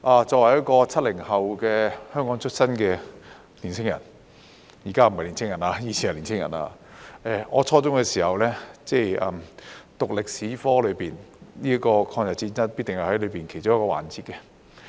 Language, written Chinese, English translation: Cantonese, 作為一個 "70 後"在香港出生的年輕人——現在不是年輕人了，以前是年輕人——我在初中時修讀歷史科，抗日戰爭必定是其中一個環節。, As a young man born in Hong Kong in the 1970s―I am not a young man anymore though I used to be one―I took History in my junior secondary studies and the War of Resistance was definitely one of the topics